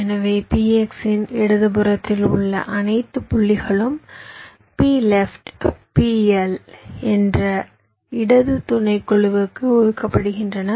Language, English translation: Tamil, so all points to the left of p x is assign to a left subset, p left, p l, all the points to right is assigned to p r